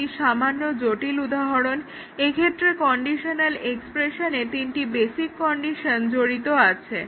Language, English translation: Bengali, So, here it is slightly more complex example involving three basic conditions in this conditional expression